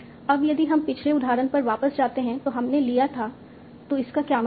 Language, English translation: Hindi, Now if we go back to the previous example that we took, what does that mean